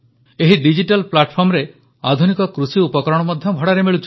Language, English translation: Odia, Modern agricultural equipment is also available for hire on this digital platform